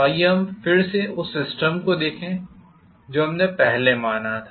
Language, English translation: Hindi, So let us again look at system what we had considered